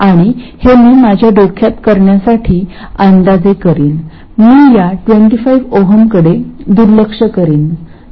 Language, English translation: Marathi, And I will approximate this just to do it in my head, I will neglect this 25 oms in the denominator